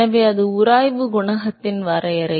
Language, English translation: Tamil, So, that is the definition of friction coefficient